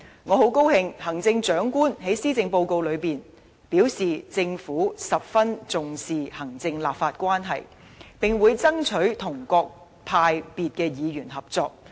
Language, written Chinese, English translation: Cantonese, 我很高興，行政長官在施政報告中表示，政府十分重視行政立法關係，並會爭取與各派別議員合作。, Much to my delight the Chief Executives Policy Address states that the Government attaches a great deal of importance to executive - legislature relationship and will seek to work with Members from various political parties and groupings